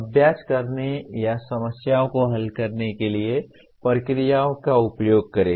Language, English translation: Hindi, Use procedures to perform exercises or solve problems